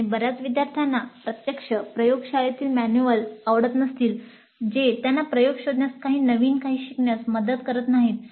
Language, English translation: Marathi, And many of the students actually may not like that kind of laboratory manual which does not help them to explore experiment or learn anything new